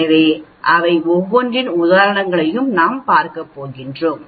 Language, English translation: Tamil, So we are going to look at examples of the each one of them